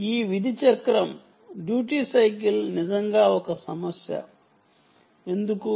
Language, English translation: Telugu, this duty cycle is indeed an issue